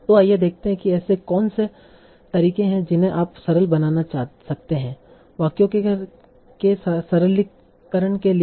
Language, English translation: Hindi, So let us see what are the different ways in which you can simplify